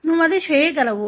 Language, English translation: Telugu, You can do that